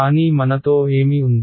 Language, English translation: Telugu, But what do we have with us